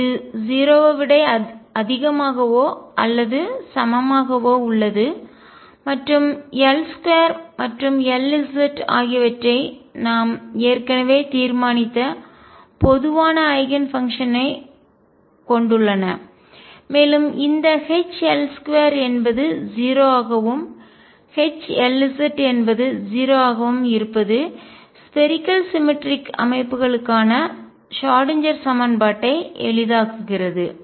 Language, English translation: Tamil, This is greater than or equal to 0 and L square and L z have common Eigenfunctions that we have already decided and this H L square being 0 and H L z being 0 simplifies the Schrodinger equation for spherically symmetric systems